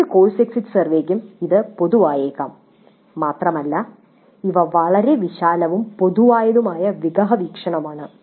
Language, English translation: Malayalam, So this can be common to any course exit survey and these are very broad and very general overview kind of questions